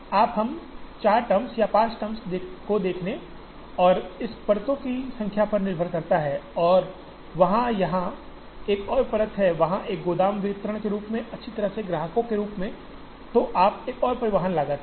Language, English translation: Hindi, Therefore, you we see 4 terms or 5 terms and this depending on the number of layers and if there is one more layer here, there is a warehouse distribution as well as the customer then you have one more transportation cost